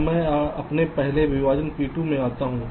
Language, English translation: Hindi, now i move to my next partition, p two